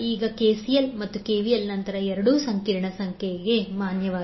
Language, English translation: Kannada, Now, since KCL and KVL, both are valid for complex number